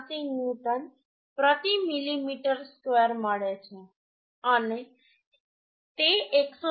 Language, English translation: Gujarati, 86 newton per millimetre square and it is less than 189